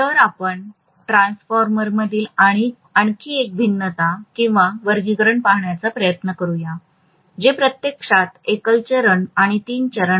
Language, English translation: Marathi, So let us try to look at another variation or classification in the transformer which is actually single phase and three phase